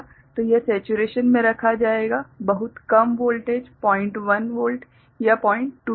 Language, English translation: Hindi, So, this will be put to saturation very low voltage 0